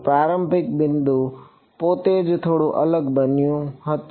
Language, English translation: Gujarati, What was the starting point itself became slightly different